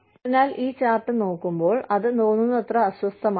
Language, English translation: Malayalam, So, when we look at this chart, as uncomfortable, as it sounds